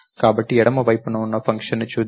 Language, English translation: Telugu, So, lets look at the function on the left side